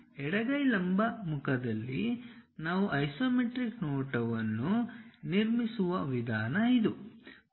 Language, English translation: Kannada, This is the way we construct isometric view in the left hand vertical face